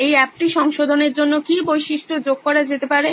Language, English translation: Bengali, What all features can be added to modify this app